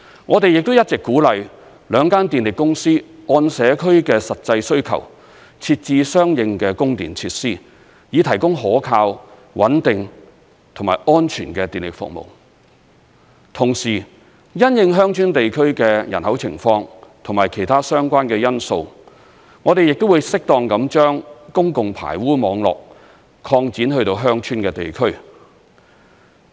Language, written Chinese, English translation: Cantonese, 我們亦一直鼓勵兩間電力公司按社區的實際需求，設置相應的供電設施，以提供可靠、穩定和安全的電力服務；同時，因應鄉村地區的人口情況及其他相關的因素，我們亦會適當地將公共排污網絡擴展至鄉村地區。, Besides we always encourage the two power companies to install corresponding power supply facilities based on actual needs in communities so as to provide reliable stable and safe power supply services . At the same time we will also appropriately expand the public sewerage network to rural areas having regard to their population and other relevant factors